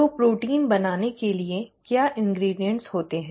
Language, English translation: Hindi, So what are the ingredients for a protein formation to happen